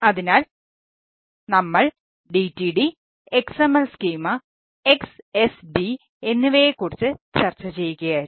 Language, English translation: Malayalam, so we were discussing about dtd and xml schema, xsd